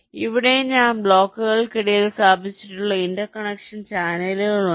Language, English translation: Malayalam, so here also there are interconnection channels which i have placed in between the blocks